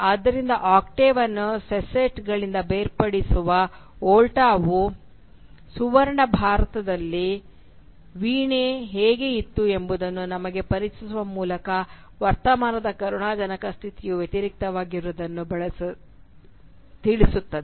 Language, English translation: Kannada, So the Volta that separates the octave from the sestet reverses the pitiable condition of the present by introducing us to how the harp was in the golden past